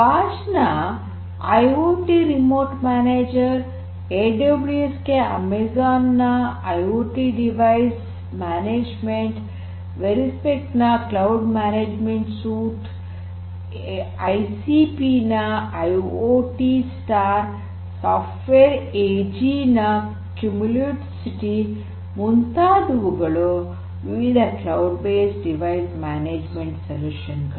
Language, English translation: Kannada, These are some of these companies that I mentioned Bosch IoT Remote Manager, Amazon’s IoT Device Management for AWS, Verismic’s Cloud Management Suite, ICP’s IoTstar, Software AG’s Cumulocity and so on like this there are many many different other cloud based device management solutions out there